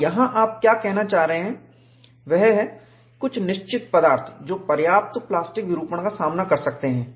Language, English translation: Hindi, And what you are trying to say here is, certain materials they can withstand substantial plastic deformation